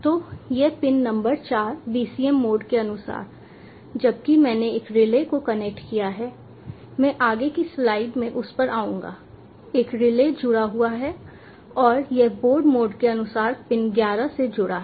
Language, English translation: Hindi, so this pin number four is according to bcm mode, whereas have connected a relay i will come to that in the consecutive slides have connected a relay and it is connected to pin eleven according to the board mode